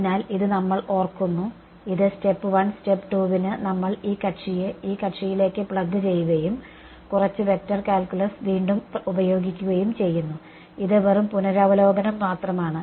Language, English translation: Malayalam, So, this we remember so, this for step 1 step 2 then we just plug this guy into this guy and use a little bit of vector calculus again this is just revision